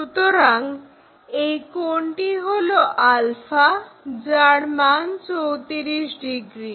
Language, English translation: Bengali, So, this angle alpha is 34 degrees